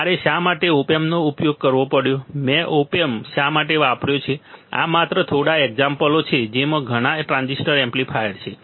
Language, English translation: Gujarati, Why I have had to use op amp, why I have use op amp right, these are just few examples there are lot transistor amplifiers